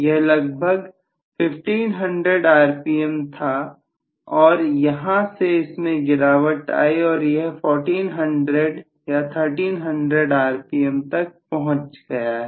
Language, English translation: Hindi, So maybe it was at 1500 rpm or something from that it may fall to 1400 or 1300 rpm so that is it